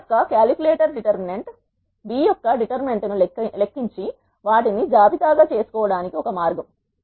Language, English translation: Telugu, One way to do is calculator determinant of A, calculate determinant of B and calculated it and make them as a list